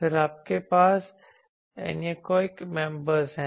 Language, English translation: Hindi, Then you have anechoic chambers